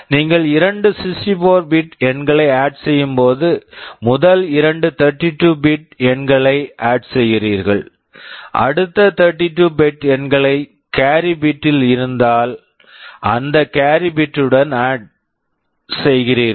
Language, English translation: Tamil, When you are adding two 64 bit numbers, you add first two 32 bit numbers, if there is a carry the next 32 bit numbers you would be adding with that carry